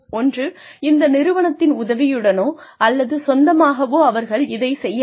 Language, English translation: Tamil, Either with the help of this, the organization, or on their own